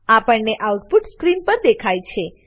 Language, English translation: Gujarati, The following output is displayed on the screen